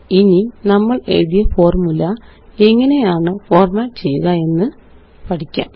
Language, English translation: Malayalam, Now let us learn how to format the formulae we wrote